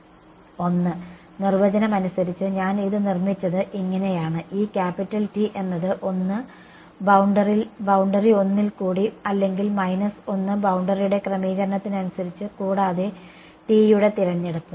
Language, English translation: Malayalam, 1 that by definition that is how I constructed it, these capital T its one along the boundary 1 or minus 1 depending on the orientation of the boundary and choice of t right